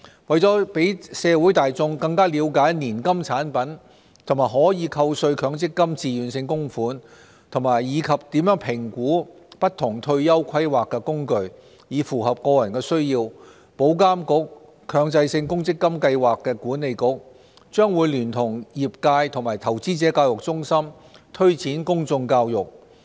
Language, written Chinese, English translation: Cantonese, 為了讓社會大眾更了解年金產品和可扣稅強積金自願性供款，以及怎樣評估不同退休規劃工具，以符合個人需要，保監局、強制性公積金計劃管理局將會聯同業界和投資者教育中心推展公眾教育。, IA and the Mandatory Provident Fund Schemes Authority MPFA will collaborate with the industry and the Investor Education Centre in promoting public education so that the general public can understand more about annuity products and MPF TVCs and how to assess different retirement planning instruments to suit their own needs